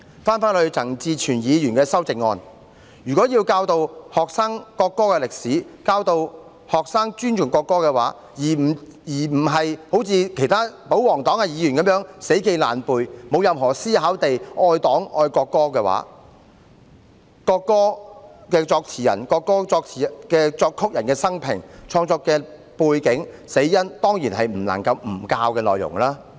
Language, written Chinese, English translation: Cantonese, 關於陳志全議員的修正案，如果要教導學生國歌的歷史，教導學生尊重國歌，而非如保皇黨議員般，死記爛背，沒有任何思考地愛黨、愛國歌，國歌作詞人和作曲人的生平和死因、創作國歌的背景當然是不能不教的內容。, Regarding the amendment of Mr CHAN Chi - chuen if we are to educate the students on the history of the national anthem and teach them to respect the national anthem rather than engage in rote learning and thoughtlessly love the Party and love the national anthem as do royalist Members the biography and cause of death of the lyricist and composer of the national anthem as well as the background for its creation will certainly be the contents that have to be taught